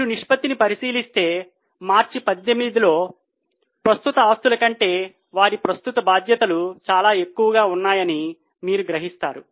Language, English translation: Telugu, If you look at the ratio, you will realize that their current liabilities are much higher than current assets in March 18